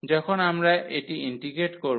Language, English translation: Bengali, So, when we integrate this